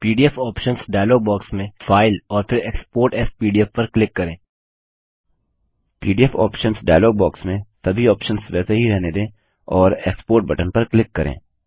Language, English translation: Hindi, In the PDF options dialog box, leave all the options as they are and click on the Export button